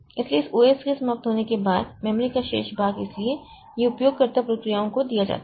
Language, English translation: Hindi, So, after this OS is over, so remaining part of the memory, so this is given to the user processes